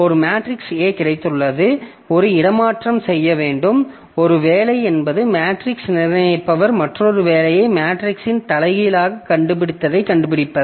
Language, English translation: Tamil, So, one job, so I have got a matrix A and maybe one job is to do a transpose, one job is to find say the determinant of the matrix, another job may be to find the inverse of the matrix